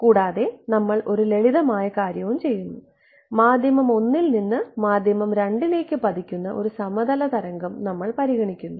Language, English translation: Malayalam, And, we will do a simple thing we will consider a plane wave that is you know falling on to from medium 1 on to medium 2 ok